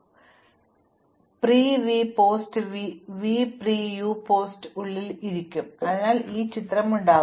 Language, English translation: Malayalam, So, this will be sitting inside this one, pre v post v will be sitting inside pre u post u, so I will have this picture